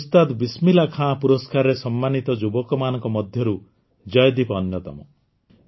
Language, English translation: Odia, Joydeep ji is among the youth honored with the Ustad Bismillah Khan Award